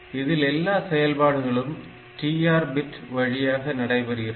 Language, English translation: Tamil, So, everything was controlled by the internal TR bit